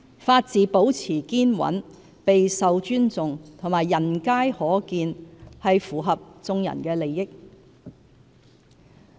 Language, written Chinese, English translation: Cantonese, 法治保持堅穩、備受尊重及人皆可見，是符合眾人的利益。, It is in everyones interest that the rule of law remains strong respected and visible